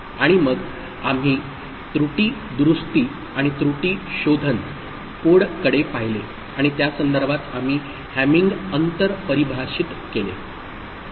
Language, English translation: Marathi, And then we looked at error correction and error detection codes, and in that context we defined Hamming distance